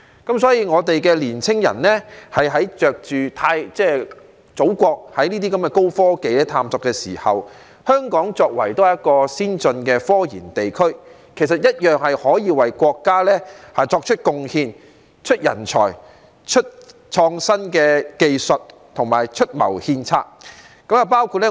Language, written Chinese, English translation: Cantonese, 因此，我們的年青人在祖國進行高科技的探索時，香港作為一個先進的科研地區，同樣可以為國家作出貢獻，提供人才、創新技術和出謀獻策。, Therefore when our young people explore advanced technologies in the Motherland Hong Kong as a region with advanced scientific research may also contribute to our country by providing talents innovative technologies and advice